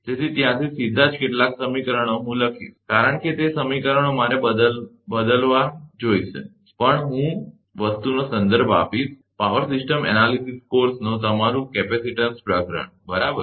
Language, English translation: Gujarati, So, directly some equation from there I will write, because those equations I will needed instead of telling, but I will refer that thing to that, your capacitance chapter of the power system analysis course, right